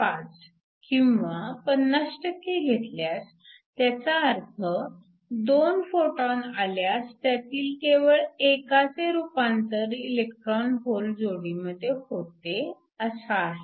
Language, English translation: Marathi, 5 or 50 percent, if you have 2 photons coming in only 1 of them will get converted to an electron hole pair